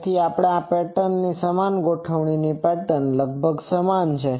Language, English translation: Gujarati, So, this pattern and the uniform array pattern, almost they are similar ok